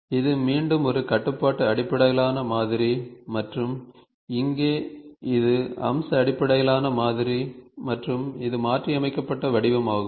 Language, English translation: Tamil, This is again a constraint based modeling and here it is feature based modeling and it is modified form